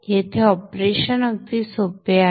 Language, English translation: Marathi, So the operation is pretty simple here